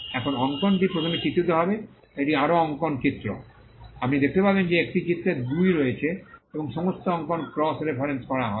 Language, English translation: Bengali, Now, the drawing will figure first, this is a further drawing, figure 1 and you find that there is a figure 2 and all the drawings will be cross referenced